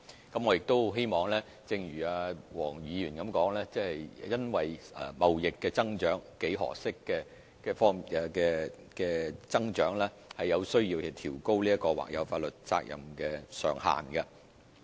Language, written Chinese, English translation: Cantonese, 我亦很希望正如黃議員所言，因為看到貿易幾何式的增長而有需要調高或有法律責任上限。, I also wish to see a need to further raise the cap on contingent liability because of an exponential growth in trade as mentioned by Mr WONG